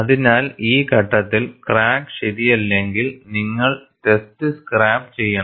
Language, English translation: Malayalam, So, at this stage, if the crack is not alright, then you have to scrap the test; then you have to redo the test